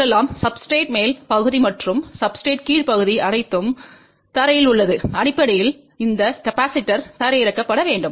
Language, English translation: Tamil, Let us say this is the upper part of the substrate and the lower part of the substrate is all ground and basically this capacitor is to be grounded